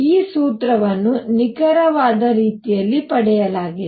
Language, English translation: Kannada, This formula is derived in an exact manner